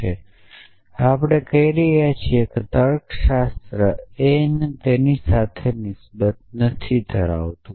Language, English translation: Gujarati, Now, we are saying that logic is not concern with that essentially